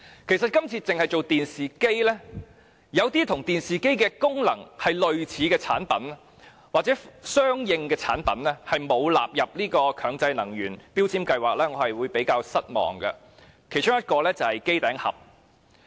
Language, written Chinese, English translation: Cantonese, 政府這次只納入電視機，一些功能與電視機相若的產品卻仍未納入強制性標籤計劃，我感到比較失望，而機頂盒便是其中一種。, I am rather disappointed that the Government has only included TVs in MEELS while other products with similar functions as TVs such as set - top boxes have not been included